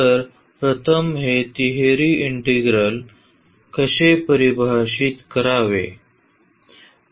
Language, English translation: Marathi, So, first how to define this triple integral